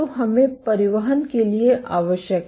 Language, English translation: Hindi, So, we are required for transport